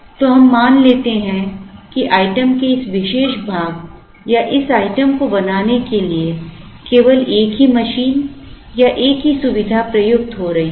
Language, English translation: Hindi, So, let us assume that a single machine or a single facility is going to make this particular part or this item